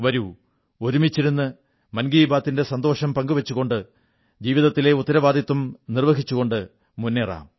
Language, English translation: Malayalam, Let's sit together and while enjoying 'Mann Ki Baat' try to fulfill the responsibilities of life